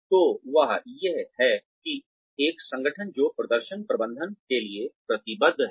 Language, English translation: Hindi, So, that is, what an organization, that is committed to performance management does